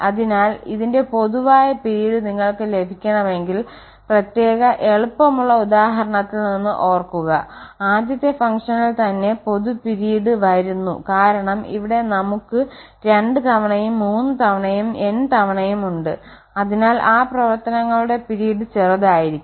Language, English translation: Malayalam, So, if you want to get the common period of this, remember from the particular simple example the common period was coming with this the first function itself because here we have two times here and three times n times, so the period of those functions will be smaller, the largest will be from the coming from the first function and others are just the multiple